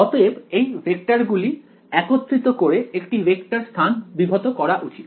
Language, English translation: Bengali, So, these vectors put together should span the vector space ok